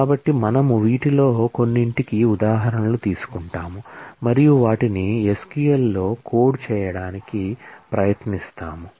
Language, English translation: Telugu, So, we would take examples of some of these and try to code them in the SQL